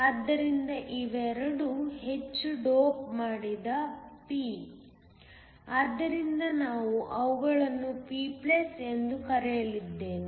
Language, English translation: Kannada, So, Both of these are heavily doped p, so I am going to call them p+